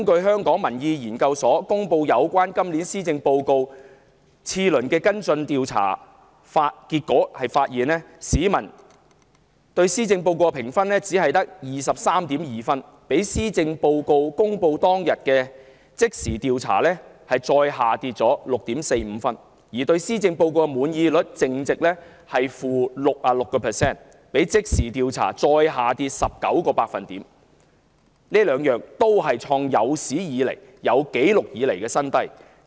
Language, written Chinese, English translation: Cantonese, 香港民意研究所就今年施政報告進行次輪跟進調查，結果顯示市民對施政報告的滿意度評分只有 23.2 分，比施政報告公布當天的即時調查低 6.45 分；對施政報告的滿意率淨值是負66個百分點，比即時調查再下跌19個百分點，兩者皆創有紀錄以來的新低。, According to the results of the second follow - up survey on this years Policy Address conducted by the Hong Kong Public Opinion Research Institute peoples satisfaction rating with the Policy Address is 23.2 marks only which is 6.45 marks lower than the one registered in the survey conducted on the day when the Policy Address was delivered; the net satisfaction rate with the Policy Address is negative 66 percentage points a further decrease of 19 percentage points from the results of the immediate survey both figures being the lowest on record